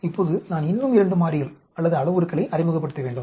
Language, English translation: Tamil, Now, I have to introduce 2 more variables or parameters